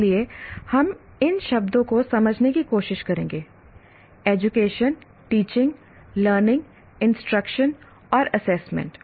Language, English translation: Hindi, So we will try to explain, understand these words, education, teaching, learning, instruction and assessment